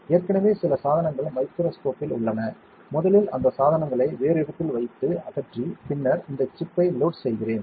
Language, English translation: Tamil, Already some devices are there on the microscope, I will first remove those devices keep it somewhere else, and then load this chip